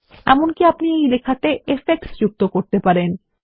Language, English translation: Bengali, You can even add effects to this text